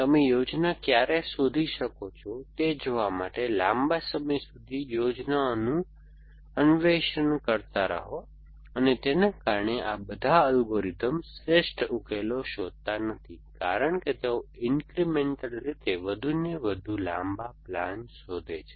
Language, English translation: Gujarati, Keep exploring longer and longer plans to see when you can find the plan and because of that all these algorithms, end of finding the optimum solutions as well because they incrementally search for longer plans